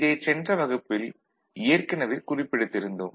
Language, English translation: Tamil, So, this was there in the last class, we made a note of it